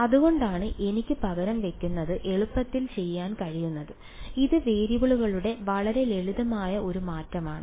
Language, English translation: Malayalam, So, that is why I could do the substitution easily it was a very simple change of variables right